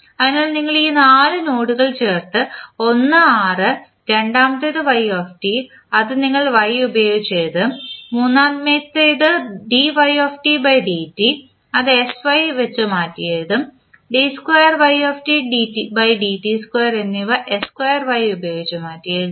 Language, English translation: Malayalam, So, we have added these four nodes one is r, second is yt so you will replace with y, third is dy by dt so will replace with sy and d2y by dt2 you will replace with s square y